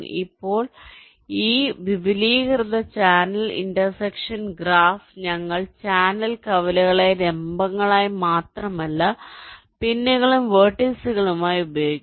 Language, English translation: Malayalam, now, in this extended channel intersection graph, we use not only the channel intersections as vertices, but also the pins as vertices